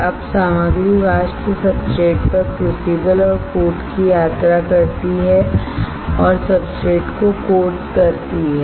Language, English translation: Hindi, Now the material vapors travels out to crucible and coat on the substrate and coat the substrate